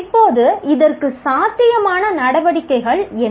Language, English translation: Tamil, And now what are the activities that are possible for this